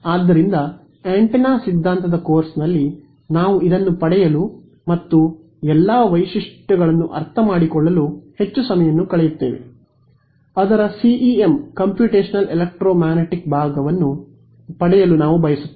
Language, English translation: Kannada, So, in a course on the antenna theory we would spend a lot more time deriving this and understanding all the features, we want to sort of get to the CEM Computational ElectroMagnetics part of it